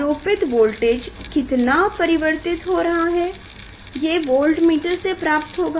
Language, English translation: Hindi, How much voltage we are varying power from applying, so that we will get from voltmeter